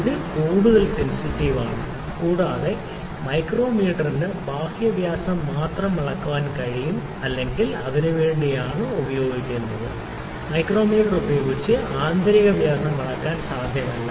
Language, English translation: Malayalam, So, it is more sensitive also the micrometer can or is used to measure the external diameters only, it is not very much possible to measure the internal diameters internal lengths using the micrometer